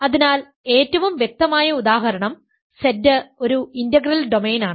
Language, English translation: Malayalam, So, immediate example the most obvious example is Z is an integral domain